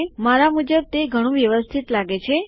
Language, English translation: Gujarati, To me that looks a lot neater